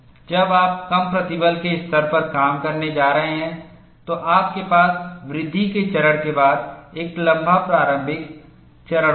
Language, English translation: Hindi, When you are going to operate at lower stress levels, you will have a longer initiation phase, followed by growth phase